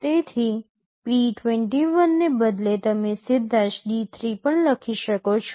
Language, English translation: Gujarati, So, instead of p21 you can also write D3 straightaway